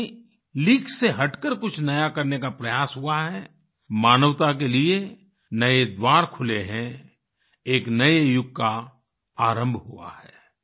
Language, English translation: Hindi, Whenever effort to do something new, different from the rut, has been made, new doors have opened for humankind, a new era has begun